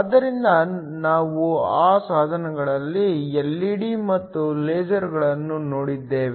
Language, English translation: Kannada, So, we looked at 2 of those devices LED’s and LASERs